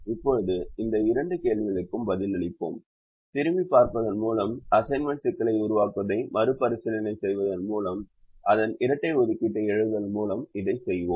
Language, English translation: Tamil, now we'll answer these two questions now by looking at going back and revisiting the formulation of the assignment problem and then by writing its dual